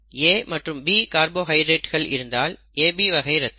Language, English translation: Tamil, If it is all B carbohydrates being expressed, it is blood group B